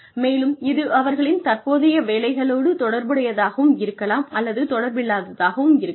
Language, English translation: Tamil, And, it may or may not be related to, what they are currently doing in their jobs